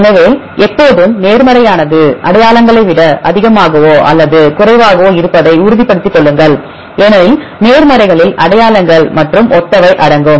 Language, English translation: Tamil, So, be sure always the positives are higher or lower than identity higher than the identities because positives include the identities plus the similar ones